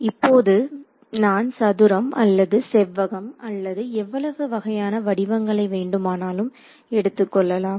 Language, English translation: Tamil, Now, it I can have a square or I can have a rectangular any number of shapes I can have right